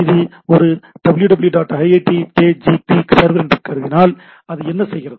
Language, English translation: Tamil, So, say if I consider this is a www iitkgp server then what it is doing